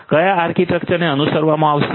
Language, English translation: Gujarati, Which architecture will be followed